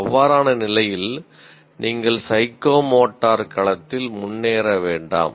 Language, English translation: Tamil, In that case, you do not move forward in the psychomotor domain at all